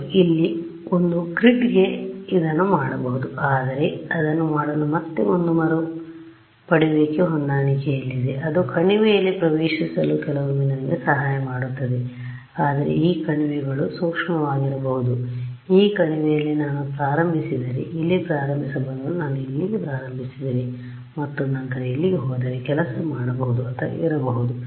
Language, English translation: Kannada, Yeah, one grid here to one grid there it can be done, but that is again in one retrieve match to do it and that is done and that is helps us sometimes to get into the right valley, but these valleys can be sensitive supposing I started in this valley I reach the correct answer, but if I started let us say instead of starting here I started over here and then I move my go here